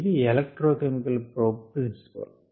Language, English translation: Telugu, it is an electrochemical probe